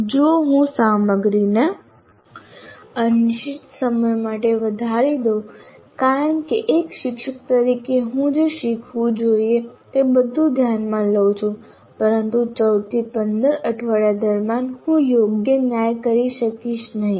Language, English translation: Gujarati, If I increase the content indefinitely because as a teacher I consider all that should be learned, but I will not be able to do a proper justice during the 14 to 15 weeks